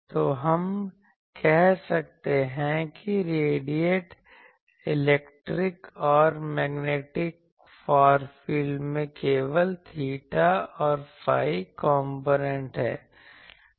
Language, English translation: Hindi, So, we can say that the radiated electric and magnetic far fields have only theta and phi component